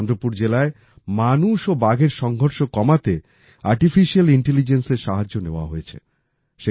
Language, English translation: Bengali, The help of Artificial Intelligence is being taken to reduce conflict between humans and tigers in Chandrapur district